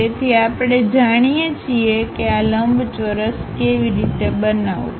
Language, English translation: Gujarati, So, we know how to construct that rectangle construct that